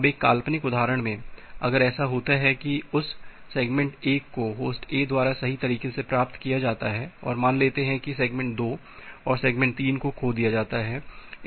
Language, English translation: Hindi, Now in a hypothetical example, if it happens that well this segment 1 is received correctly by host A and say segment 2 and segment 3 are dropped a lost